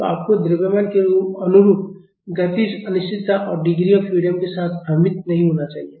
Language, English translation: Hindi, So, you should not get confused with kinematic indeterminacy and the degrees of freedom corresponding to the mass